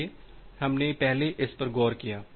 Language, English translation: Hindi, So, we looked into this earlier